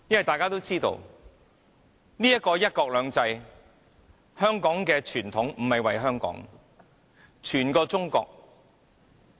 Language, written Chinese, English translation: Cantonese, 大家也知道，"一國兩制"這個香港的傳統，為的不是香港，而是整個中國。, As you also know the tradition of one country two systems in Hong Kong is not for the sake of Hong Kong but for the sake of the entire China